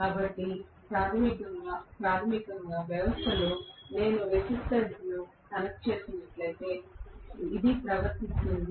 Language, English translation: Telugu, So, it will behave as though I have connected a resistance, basically in the system